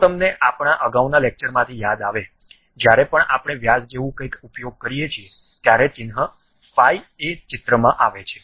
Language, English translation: Gujarati, If you recall from our earlier lectures, whenever we use something like diameter, the symbol phi comes into picture